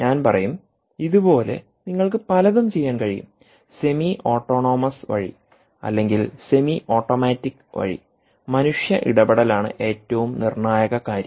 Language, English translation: Malayalam, you can do many things in a, i will say semi, ah um, autonomous way or semi automatic way, with human intervention being the most critical thing